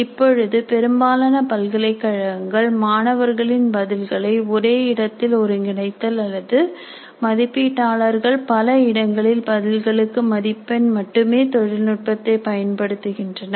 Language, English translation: Tamil, At present, most of the universities are using technology only to gather all the student responses at a single place or at multiple places, multiple places for evaluators to mark the responses